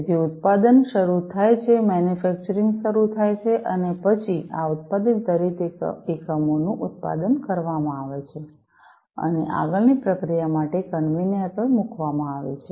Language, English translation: Gujarati, So, the production starts, manufacturing starts, and then each of these manufactured units are going to be produced, and put on the conveyor, for further processing